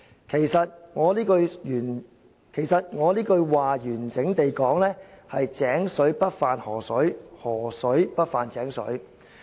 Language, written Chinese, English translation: Cantonese, 其實，我這句話完整地說是：'井水不犯河水，河水不犯井水'。, Actually the entire Chinese proverb quoted by me should read well water does not intrude into river water and river water does not intrude into well water